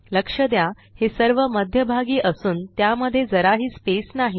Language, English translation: Marathi, Notice that they are all centered and dont have a lot of space in between them